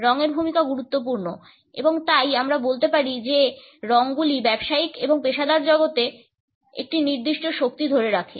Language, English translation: Bengali, The role of color is important and therefore, we can say that colors hold a certain power in business and professional world